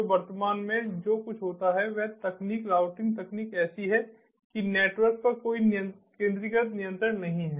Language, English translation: Hindi, so, so, so what happens is at present, the technology, the routing technology, is such that there is no centralized control over the network